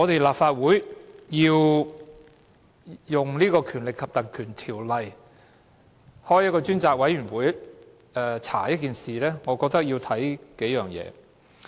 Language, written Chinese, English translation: Cantonese, 立法會考慮運用《立法會條例》動議議案成立專責委員會來調查一件事時，我認為要視乎數點。, I think the Legislative Council has to consider a few points in invoking the Legislative Council Ordinance to move a motion to appoint a select committee to inquire into the incident